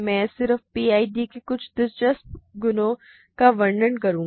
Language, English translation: Hindi, I will do just to illustrate some interesting properties of PIDs